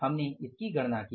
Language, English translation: Hindi, So, you will count this